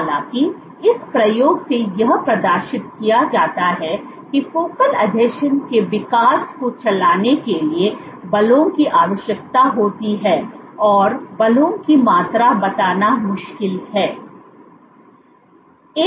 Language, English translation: Hindi, However, though this experiment demonstrated that forces are required for driving the growth of focal adhesions it is difficult to quantify the forces